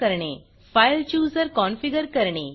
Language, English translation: Marathi, Add the File Chooser Configure the File Chooser